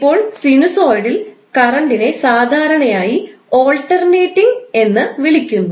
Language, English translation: Malayalam, Now, sinusoidal current is usually referred to as alternating current